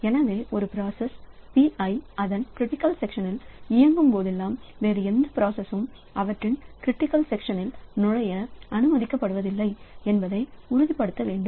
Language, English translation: Tamil, So, it must be ensured that whenever a process PI is executing in its critical section, no other process is allowed to enter in their critical sections